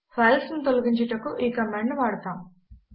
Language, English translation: Telugu, This command is used for deleting files